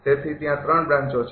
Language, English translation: Gujarati, So, there are 3 branches